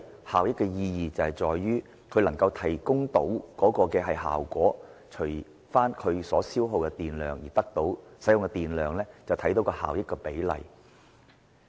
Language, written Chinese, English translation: Cantonese, 效益的意義在於，一部電器所能提供的效果，除以其所消耗的電量，便可知其效益比例。, The energy efficiency is calculated by the effect produced by an electrical appliance divided by the amount of electricity it consumes and then we can get a ratio